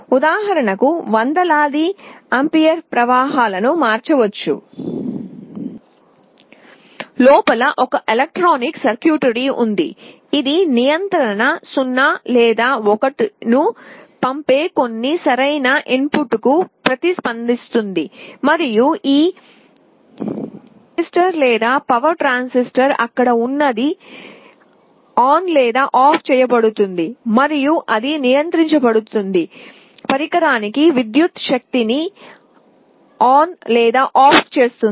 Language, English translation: Telugu, Inside there will be some electronic circuitry, which will be responding to some appropriate input that will be sending a control 0 or 1, and this thyristor or power transistor whatever is there will be switched on or off, and that will be turning the power on or off to the device that is being controlled